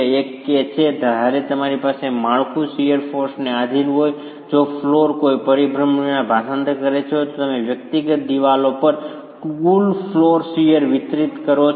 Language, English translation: Gujarati, One is when you have a flow subjected to a shear force, if the floor were to translate with no rotations, then you distribute the total flow shear to the individual walls